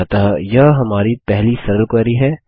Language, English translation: Hindi, So this is our first simple query